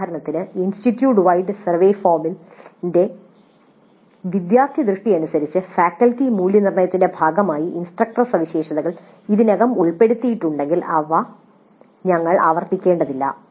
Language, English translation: Malayalam, For example, if instructor characteristics are already covered as a part of the faculty evaluation by students aspect of the institute wide survey form, then we don't have to repeat them here